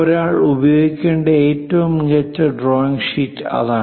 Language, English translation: Malayalam, What is the best drawing sheet one should use